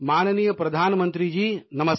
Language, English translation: Hindi, Respected Prime Minister, Vanakkam